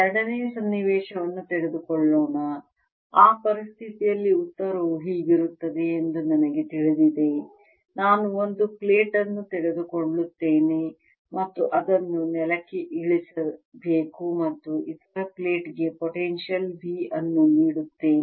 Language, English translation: Kannada, let us take second situation, in which i know the answer in that situation will be like this: i will take one plate is to be grounded and give potential v to the other plate, give potential v to the other plate